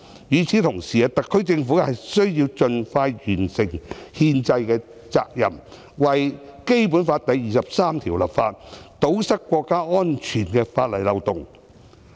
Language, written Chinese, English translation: Cantonese, 與此同時，特區政府需要盡快完成憲制的責任，為《基本法》第二十三條立法，堵塞國家安全的法例漏洞。, Meanwhile the SAR Government has to expeditiously fulfil its constitutional responsibility of legislating for the implementation of Article 23 of the Basic Law to plug the legal loopholes of national security